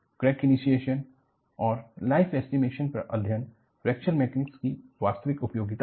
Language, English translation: Hindi, The chapter on Crack Initiation and Life Estimation is the real utility of Fracture Mechanics